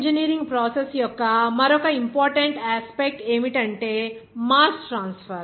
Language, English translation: Telugu, Another important aspect of chemical engineering process is that mass transfer